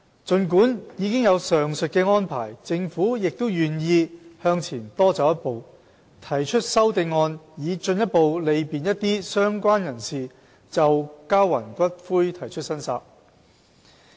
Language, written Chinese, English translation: Cantonese, 儘管已有上述的安排，政府亦願意向前多走一步，提出修正案以進一步利便一些相關人士就交還骨灰提出申索。, Despite the aforementioned arrangements the Government is prepared to take one more step forward by proposing amendments to further facilitate related persons in claiming the return of ashes